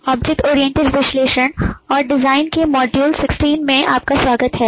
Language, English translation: Hindi, welcome to module 16 of object oriented analysis and design